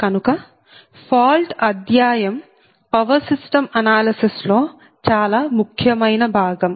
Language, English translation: Telugu, so so fault study is actually an important part of power system analysis